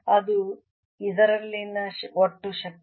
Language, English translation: Kannada, that is the total energy in this